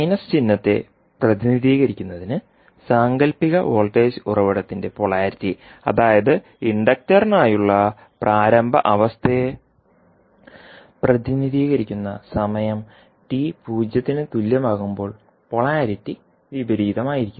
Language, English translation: Malayalam, The, to represent the minus sign the polarity of fictitious voltage source that is that will represent the initial condition for inductor will become l at time t is equal to 0 and the polarity will be opposite